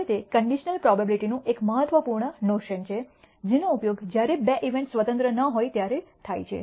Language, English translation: Gujarati, Now that is an important notion of conditional probability, which is used when two events are not independent